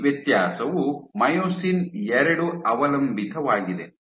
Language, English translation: Kannada, So, this differentiation is myosin II dependent